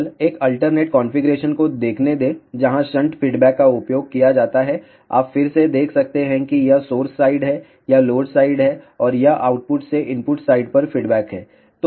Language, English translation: Hindi, Let just look an alternate configuration where shunt feedback is used, you can again see this is the source side, this is the load side and this is the feedback from the output to the input side